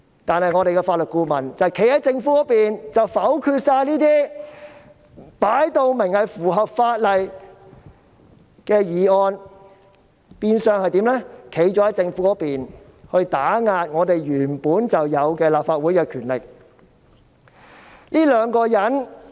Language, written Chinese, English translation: Cantonese, 然而，立法會法律顧問否決所有這些分明符合法例的修正案，變相站在政府的一方，打壓立法會原有的權力。, However the Legal Adviser of the Legislative Council rejected all the amendments which were obviously in compliance with the law . Her action was tantamount to siding with the Government to suppress the entitled powers of the Legislative Council